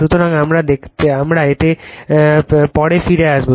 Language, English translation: Bengali, So, , we will come back to this